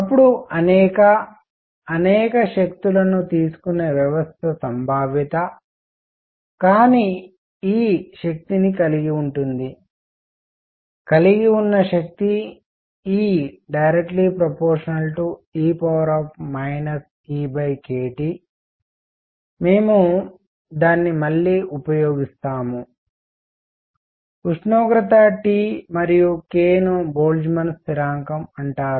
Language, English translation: Telugu, Then the probability that a system that can take many, many energies, but has energy E has energy E is proportional to e raised to minus E over k T, we will use it again, temperature is T and k is known as Boltzmann constant all right